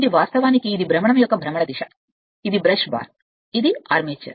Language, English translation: Telugu, This is actually this is your rotation direction of the rotation, this is the brush bar, this is the armature